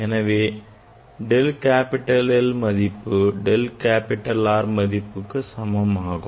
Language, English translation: Tamil, del capital L will be equal to del capital R